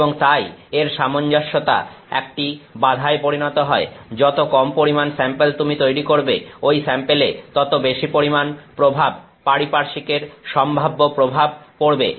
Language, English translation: Bengali, And therefore, its uniformity becomes a challenge, the smaller the sample that you make the greater is the influence potential influence of the surroundings on that sample